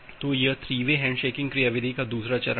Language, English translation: Hindi, So, this is the second step of the 3 way handshaking mechanism